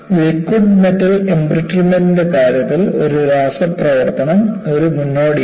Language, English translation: Malayalam, In the case of liquid metal embrittlement, a chemical attack is a precursor